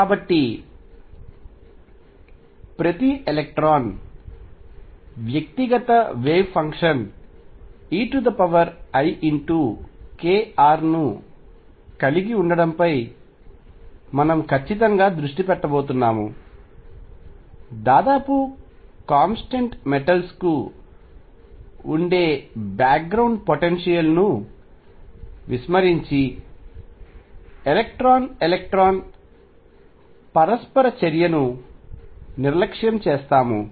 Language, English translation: Telugu, So, we are going to focus strictly on each electron having an individual wave function e raise to i k dot r, neglecting the background potential which is nearly a constant metals and neglecting the electron electron interaction